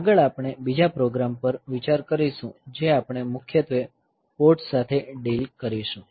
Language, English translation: Gujarati, Next we will look into another program which we will deal with mainly with the ports